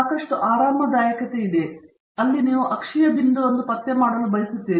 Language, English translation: Kannada, There is lot of flexibility, where you want to locate you axial point